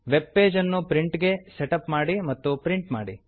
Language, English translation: Kannada, * Setup the web page for printing and print it